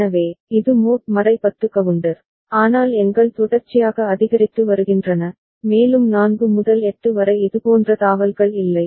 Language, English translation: Tamil, So, this is mod 10 counter, but where the numbers are sequentially increasing and there is no such jump like from 4 to 8